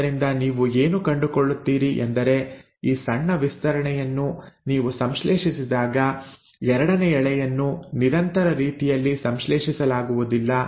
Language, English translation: Kannada, So what you find is that when you have this short stretches synthesised, the second strand is not getting synthesised in a continuous manner